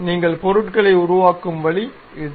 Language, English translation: Tamil, This is the way you construct the objects